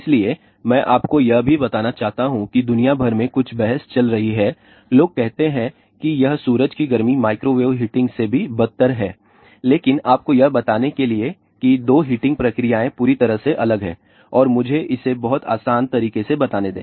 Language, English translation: Hindi, So, I also want to tell you that there is a bit ah debate going on all over the world people says it is sun heating is more versus microwave heating, but just to tell you the two heating processes are totally different and let me explain in a very simple manner